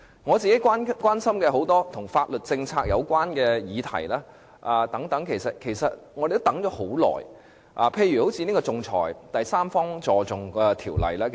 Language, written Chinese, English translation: Cantonese, 我本人關心很多跟法律政策有關的議題，我們也等了很長時間，例如仲裁和第三方資助仲裁條例......, Personally I am concerned about subjects related to policies of law . Moreover we have waited for a very long time . For instance ordinances concerning arbitration and third party funding for arbitration